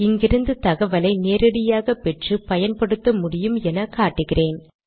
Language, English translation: Tamil, What I want to show here is that you can use the information from here directly